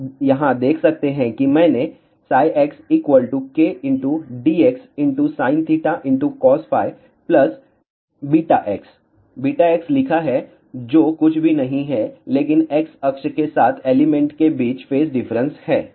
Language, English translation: Hindi, You can see here that I have written psi x is equal to k d x sin theta cos phi plus beta x beta x is nothing, but phase difference between the elements along x axis